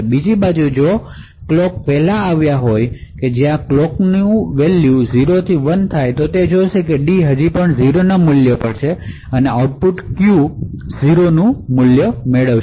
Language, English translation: Gujarati, On the other hand, if the clock in fact has arrived 1st when the clock transitions from 0 to 1, it would see that the D is still at the value of 0 and therefore the output Q would obtain a value of 0